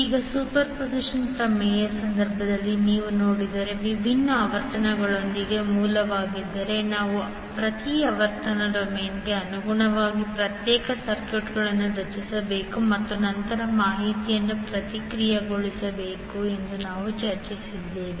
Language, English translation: Kannada, Now, if you see in case of superposition theorem we discussed that if there are sources with different frequencies we need to create the separate circuits corresponding to each frequency domain and then process the information